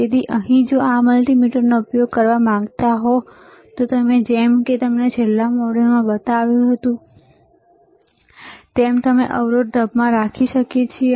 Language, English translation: Gujarati, So, here if you want to use this multimeter, like I have shown you in the last module, we can we can keep it in the resistance mode